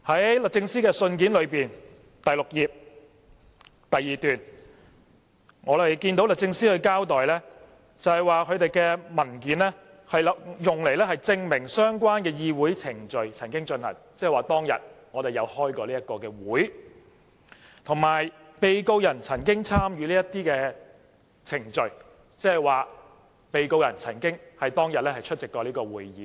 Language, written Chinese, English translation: Cantonese, 在律政司信件的第6頁第二段，我們看到律政司交代文件是用作證明曾進行過相關的議會程序，即當天我們曾召開該次會議；以及被告人曾參與這些程序，即被告人曾在當天出席該次會議。, However as stated in the second paragraph on page 6 of DoJs letter DoJ explained that the documents are to be used to prove that relevant parliamentary proceedings took place that is we did hold that meeting on that day; and to prove that the defendant participated in the proceedings that is the defendant did attend that meeting on that day